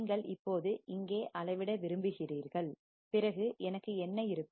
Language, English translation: Tamil, You now want to measure here, then what will I have